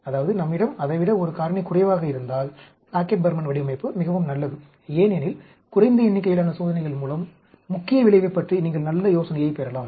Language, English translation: Tamil, So, if we have one factor less than that, then Plackett Burman design is very, very good; because, with less number of experiments, you can get very good idea about the main effect